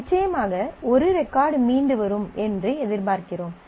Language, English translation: Tamil, So, certainly we expect one record to come back